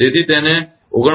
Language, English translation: Gujarati, So, it is 49